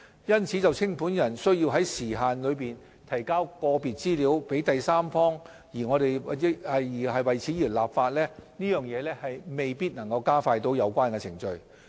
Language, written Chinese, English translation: Cantonese, 因此，就清盤人須在時限內提交個別資料予第三方而立法，亦未必能加快有關程序。, Therefore enacting legislation on requiring a liquidator to provide specific information to a third - party administrator within a certain time frame may not necessarily be able to expedite the relevant process